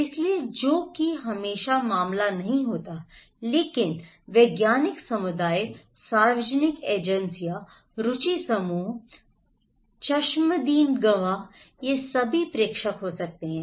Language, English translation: Hindi, So, which is not always the case but scientific communities, public agencies, interest group, eye witness they all could be senders of informations